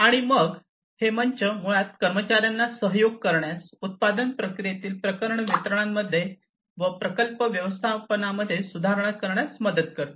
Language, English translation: Marathi, And they this platform basically helps employees to collaborate and improve upon the project delivery in the production process, in the project management process, rather